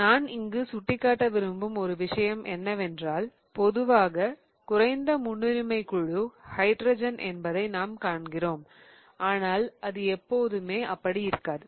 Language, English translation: Tamil, One of the things which I want to point out here is that typically we see that the least priority group is hydrogen but that is not always the case